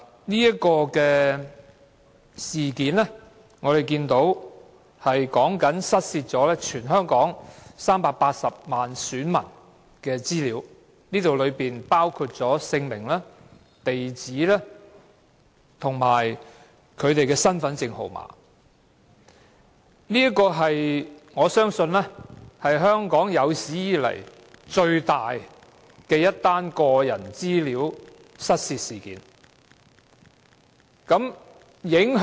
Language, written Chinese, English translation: Cantonese, 是次事件關乎失竊全港380萬選民的資料，當中包括姓名、地址和身份證號碼，我相信是香港有史以來最大的個人資料失竊事件。, The incident involves the loss of personal data of 3.8 million electors in Hong Kong . The data include their names addresses and Hong Kong identity card HKID numbers . I believe this is the biggest case involving the loss of personal data in Hong Kong history